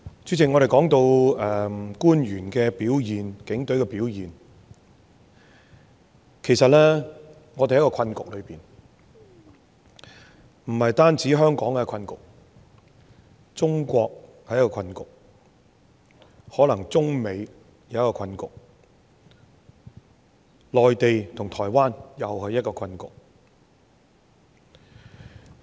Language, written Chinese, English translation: Cantonese, 主席，我們說到官員和警隊的表現，其實我們處於一個困局，不單是香港的困局，中國也是一個困局，可能中美是另一個困局，而內地與台灣又是另一個困局。, Chairman when it comes to the performance of the officials and the Police actually we are caught in a deadlock . Not only is Hong Kong a deadlock; China is a deadlock too; and probably China and the United States present another deadlock while the Mainland and Taiwan are another one